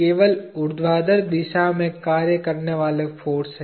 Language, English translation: Hindi, There are forces acting only in the vertical direction